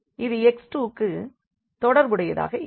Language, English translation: Tamil, So, we will get simply here x 2